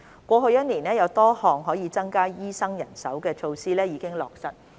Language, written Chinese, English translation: Cantonese, 過去1年多，有多項可以增加醫生人手的措施已經落實。, Over the past year or so various measures have been implemented to increase the manpower of doctors